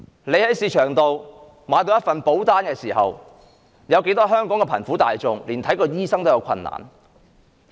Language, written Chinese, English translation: Cantonese, 你在市場上買了一份保單時，有多少香港貧苦大眾連看醫生也有困難呢？, When you buy an insurance plan in the market how many poor people in Hong Kong have difficulty affording medical care?